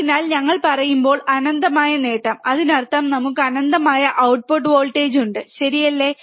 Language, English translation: Malayalam, So, that does not mean that when we say infinite gain; that means, that we have infinite output voltage, alright